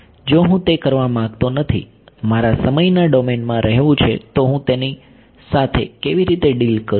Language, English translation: Gujarati, If I do not want to do that, I want to stay in the time domain then how do I deal with